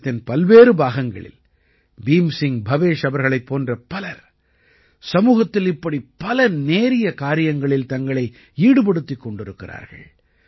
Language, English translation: Tamil, There are many people like Bhim Singh Bhavesh ji in different parts of the country, who are engaged in many such noble endeavours in the society